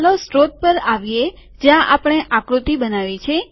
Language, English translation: Gujarati, Lets come to the source where we created the figure